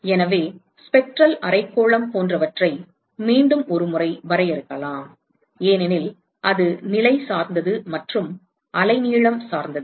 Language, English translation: Tamil, So, once again we can define things like spectral hemispherical etcetera because it is positional dependent and wavelength dependent